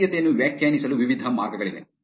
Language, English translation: Kannada, There can be various ways to define centrality